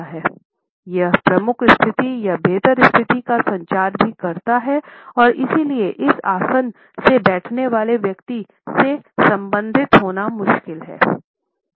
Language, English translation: Hindi, It also communicates a dominant position or a superior position and therefore, it may be difficult to relate to this person who is sitting in this posture